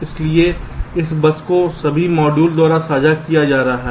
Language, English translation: Hindi, so this bus is being shared by all the modules